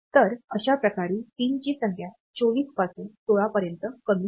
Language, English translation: Marathi, So, that way the number of pins reduce from 24 to 16